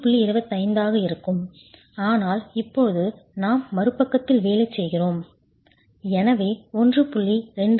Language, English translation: Tamil, 25 but now we are working on the other side and therefore 1